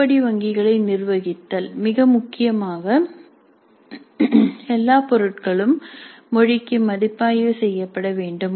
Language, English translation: Tamil, Managing the item banks, all items need to get reviewed for language that is very important